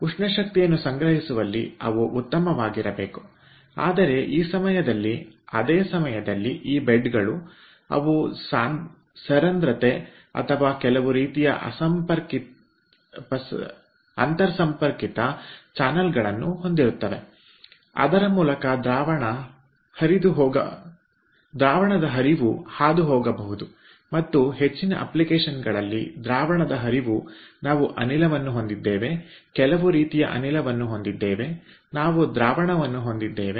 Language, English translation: Kannada, they should be good in storing thermal energy, but at this, at the same time these beds, they will have porosity or some sort of interconnected channels through which the fluid stream can pass and in most of the application as fluid stream we are having gas, some sort of a gas we are having as fluid stream, or we are having two fluid stream, so two gas streams we are having